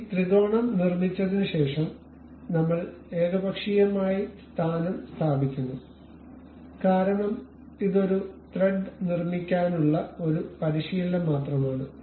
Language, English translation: Malayalam, So, after constructing this triangle we arbitrarily place this position because it is just a practice to construct a thread